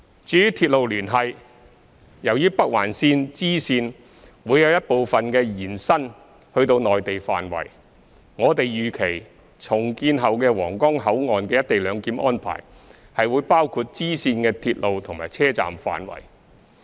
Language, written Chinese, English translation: Cantonese, 至於鐵路連繫，由於北環綫支綫會有一部分延伸至內地範圍，我們預期重建後的皇崗口岸的"一地兩檢"安排會包括支線的鐵路及車站範圍。, As for railway connectivity as the spur line of the Northern Link will partially stretch to the Mainland we expect that the co - location arrangement for the redeveloped Huanggang Port will cover the railway and station area of the spur line there